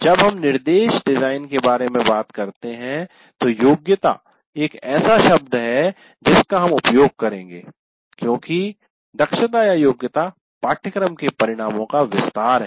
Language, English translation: Hindi, Strictly speaking when we talk about instruction design, competency is the word that we will use because competencies are elaborations of course outcomes